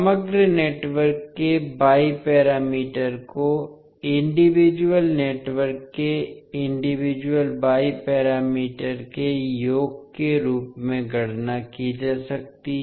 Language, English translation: Hindi, So the Y parameters of overall network can be calculated as summing the individual Y parameters of the individual networks